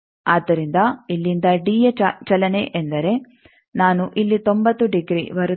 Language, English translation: Kannada, So, from here a movement of d means I will come ninety degree here